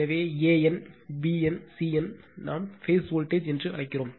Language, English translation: Tamil, So, a n, b n, c n, we call we will come to that we call it is a phase voltage